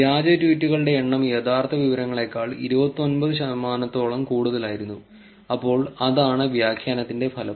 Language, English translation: Malayalam, And the percentage of fake tweets was much more, 29 percent than true information about 20 percent, so that is the outcome of the annotation